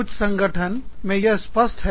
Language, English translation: Hindi, In some organizations, it is more pronounced